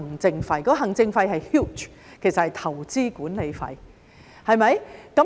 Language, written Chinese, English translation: Cantonese, 現時的行政費是 huge， 其實是投資管理費。, The current administrative fee is huge and actually it is the investment management fee